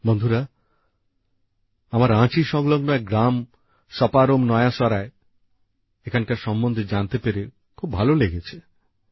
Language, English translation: Bengali, I was happy to know about Saparom Naya Sarai, a village near Ranchi